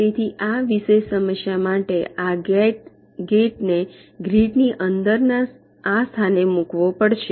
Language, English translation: Gujarati, so for this particular problem, this gate has to be placed in this location within the grid